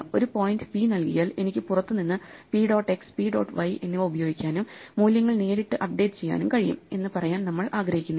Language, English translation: Malayalam, The other part of it is that we do not want the data itself to be accessible, we do not want to say that if given a point p, I can use p dot x and p dot y from outside and directly update the values